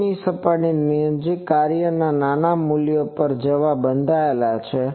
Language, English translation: Gujarati, So, near that surface the function is bound to go to small values